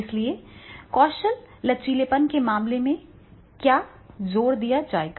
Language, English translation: Hindi, Here we are going by the skill flexibility